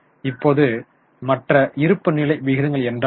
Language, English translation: Tamil, Now, what are the other balance sheet ratios